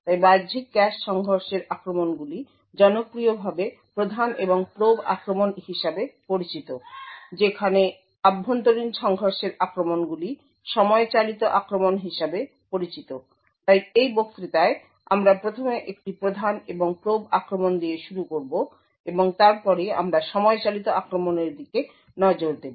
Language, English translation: Bengali, So external cache collision attacks are popularly known as prime and probe attacks, while internal collision attacks are known as time driven attacks, so in this lecture we will first start with a prime and probe attack and then we will look at time driven attack